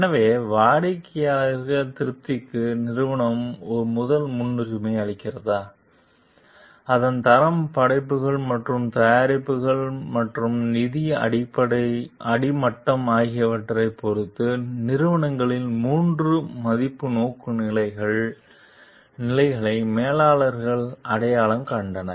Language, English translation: Tamil, So, the managers identified three value orientations of companies depending on whether the company give first priority to customer satisfaction, the quality of it is works and products and the financial bottom line